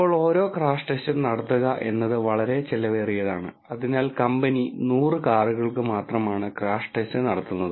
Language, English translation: Malayalam, Now, each crash test is very expensive to perform and hence the company does a crash test for only 100 cars